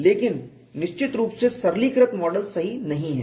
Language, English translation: Hindi, But definitely the simplistic model is not correct